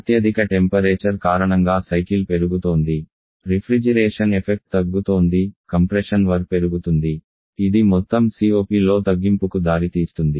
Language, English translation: Telugu, The highest temperature associate the cycle is increasing refrigeration effect is decreasing compression work is increasing lead a reduction to overall COP